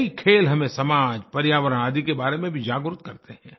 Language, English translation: Hindi, Many games also make us aware about our society, environment and other spheres